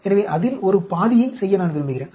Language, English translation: Tamil, So, I want to make a half of that